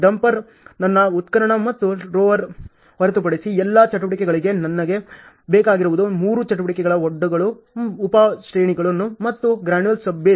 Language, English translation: Kannada, Dumper, I need almost for all activities except my excavation and roller I need for three activities embankments sub grades and granular sub base